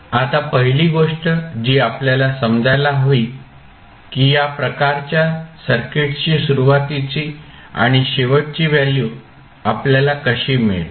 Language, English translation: Marathi, Now, the first thing which we have to understand that how we will find the initial and final values for these types of circuits